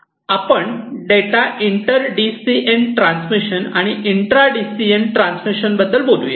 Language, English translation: Marathi, We are talking about data inter DCN transmission and intra DCN transmission